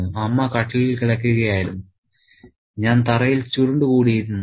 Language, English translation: Malayalam, Amma was lying on the court and I was curled up on the floor